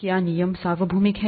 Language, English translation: Hindi, Are the rules universal